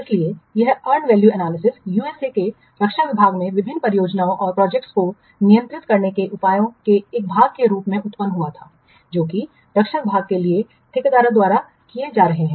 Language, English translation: Hindi, So, this earned value analysis, it was originated in the US Department of Defense as a part of a set of measures to control different projects which are being carried out by contractors for the Department of Defense